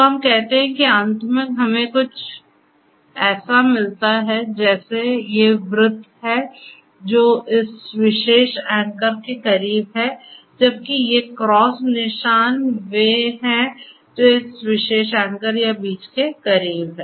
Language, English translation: Hindi, So, let us say that finally, we get something like these circles are the ones which are closer to this particular anchor whereas, these cross marks are the ones which is closer to this particular anchor or the seed